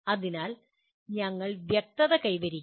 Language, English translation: Malayalam, So the you have to achieve clarity